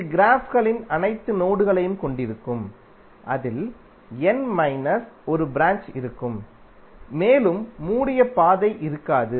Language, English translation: Tamil, It will contain all nodes of the graphs, it will contain n minus one branches and there will be no closed path